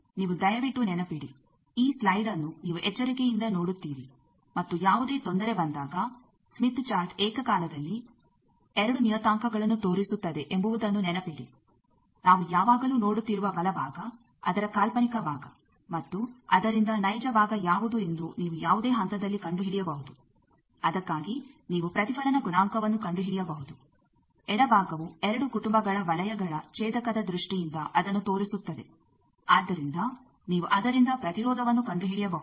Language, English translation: Kannada, You please remember this slide you look into carefully and remember that whenever any trouble you remember the smith chart simultaneously displays two parameters; the right side we are seeing always you can find out at any point what is the imaginary part of that and real part from that you can find out a reflection coefficient for that, left side shows it also is showing you in terms of intersection of two families of circles so you can find out impedance from that